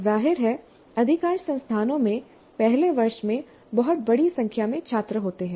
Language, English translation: Hindi, And obviously most of the institutes have a very large number of students in the first year